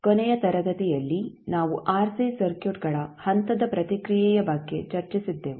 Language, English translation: Kannada, In last class we were discussing about the step response of RC circuits